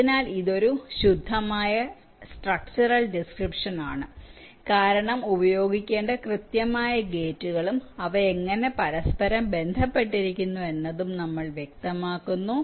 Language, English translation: Malayalam, so this is the pure structural description because we have specifying the exact gates to be used and how they are interconnected